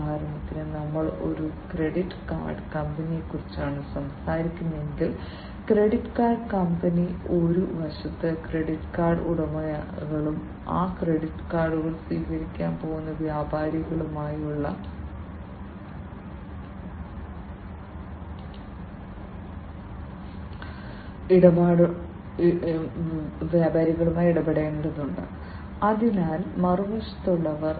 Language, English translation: Malayalam, For example, if we are talking about a credit card company, so credit card company has to deal with the credit card holders on one side, and the merchants, who are going to accept those credit cards; so, those on the other side